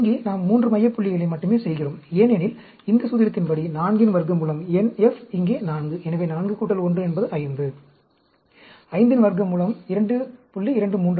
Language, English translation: Tamil, Here, we are doing only 3 center points, because according to this formula, 4 square root of, n f here is 4; so, 4 plus 1 is 5; square root of 5 is 2